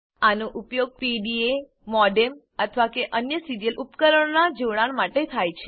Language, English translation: Gujarati, These are used for connecting PDAs, modem or other serial devices